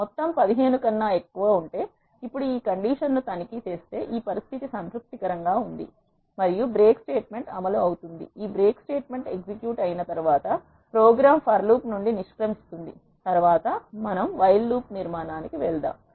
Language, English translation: Telugu, Now if this condition is checked if sum is greater than 15; this condition is satisfied and the break statement get executed; once this break statement get executed the program quit from the for loop next we move on to another construct which is while loop